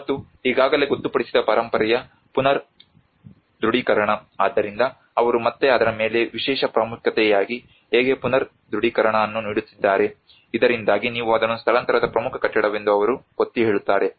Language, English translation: Kannada, And also the reaffirmation of already designated heritage so how they are giving a reaffirmation as a special importance on it again so that they emphasise that this is the most important building you need to keep that on the move as well